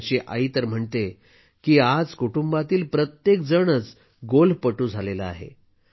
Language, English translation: Marathi, His mother even says that everyone in the family has now become a golfer